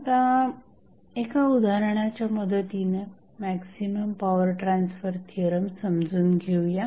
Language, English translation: Marathi, So, now, today we will discuss about the maximum power transfer theorem